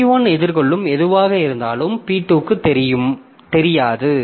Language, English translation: Tamil, So, whatever has been faced by P1, so for p2 that is not visible